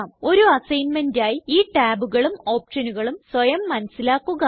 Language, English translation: Malayalam, As an assignment, explore these tabs and the options, therein